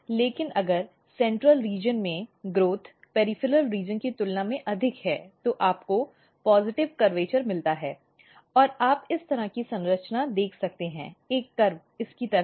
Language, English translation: Hindi, But if what happens that if growth dominates if the growth in the central region is more, than the peripheral region then what you have you get a kind of positive curvature and you can see a structure like this, a curve like this